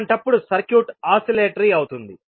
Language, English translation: Telugu, In that case the circuit will become oscillatory